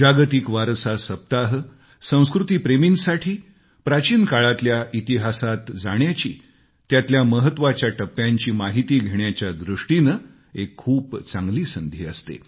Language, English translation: Marathi, World Heritage Week provides a wonderful opportunity to the lovers of culture to revisit the past and to know about the history of these important milestones